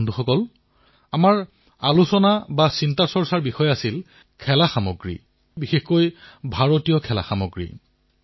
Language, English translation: Assamese, Friends, the subject that we contemplated over was toys and especially Indian toys